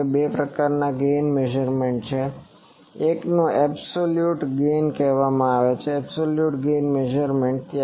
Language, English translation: Gujarati, Now there are two types of gain measurement: one is called absolute gain; absolute gain measurement